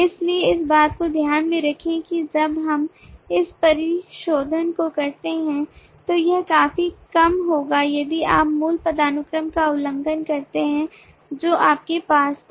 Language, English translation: Hindi, so keep this in mind while we do this refinement it will be quite bit if you actually violate the original hierarchy that you had